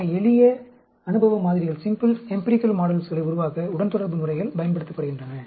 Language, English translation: Tamil, So, regression methods are used to develop simple empirical models